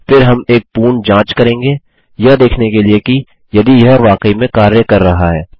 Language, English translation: Hindi, Then well give a full test to see if it really works